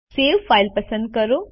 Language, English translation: Gujarati, Select Save File